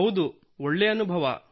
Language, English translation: Kannada, Yes, it feels good